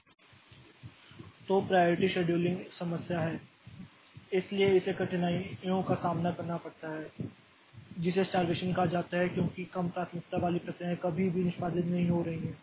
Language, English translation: Hindi, This priority scheduling problem so it has got difficulties one is called starvation because low priority processes may never execute